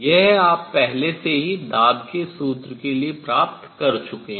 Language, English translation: Hindi, This, you already derived the formula for pressure